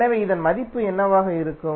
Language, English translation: Tamil, So what would be the value of this